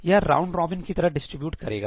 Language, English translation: Hindi, it will just distribute it round robin